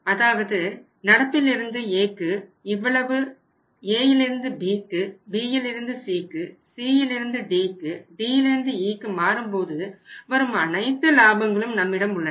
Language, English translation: Tamil, And the operating profits are also available with us that is at the current to A this much and then A to B, B to C, C to D, D to E all the profits are available with us